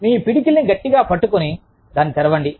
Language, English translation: Telugu, Tightly clench your fist, and open it